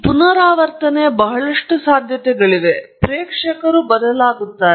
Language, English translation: Kannada, So, there is a lot of possibilities of repetition and the audience can change